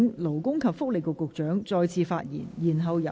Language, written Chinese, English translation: Cantonese, 勞工及福利局局長，請發言。, Secretary for Labour and Welfare please speak